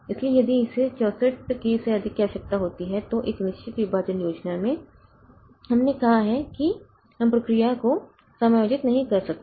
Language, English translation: Hindi, So, if it requires more than 64k then in a fixed partition scheme we have said that we cannot accommodate the process